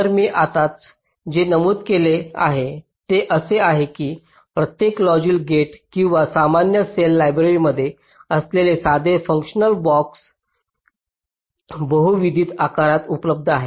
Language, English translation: Marathi, ok, so what i have just now mentioned is that each logic gate, or the simple functional blocks which are supposed to be there in a standard cell library, are available in multiple sizes